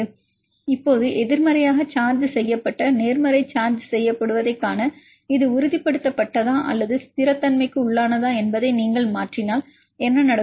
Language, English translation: Tamil, Now, to see the negatively charged positive charged what will happen if you mutate whether this is stabilized or it is destabilize right